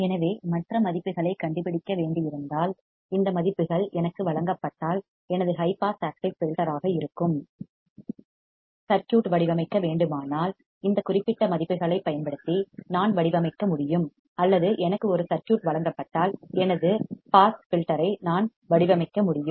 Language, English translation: Tamil, So, if I am given these values if I had to find the other values, if I had to design the circuit that is my high pass active filter, I can design by using these particular values or if I am given a circuit I can design my pass filter both the ways I can do it